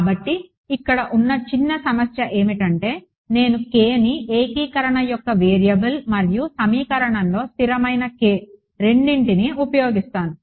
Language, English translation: Telugu, So, the slight the slight problem over here is that I am using k as both a variable of integration and the constant k in the equation